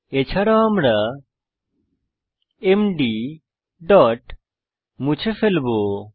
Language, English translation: Bengali, Also we will Delete md